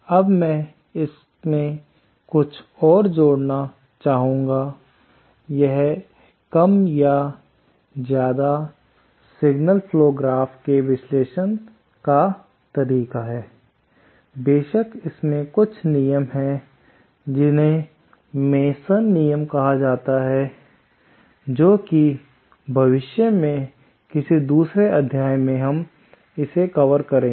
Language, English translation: Hindi, Now, I would like to add some more, so eh, this is, this is more or less how signal flow graph are analysed, there are of course some specialised rules called Masons rules that if we probably in some future module, we will be covering that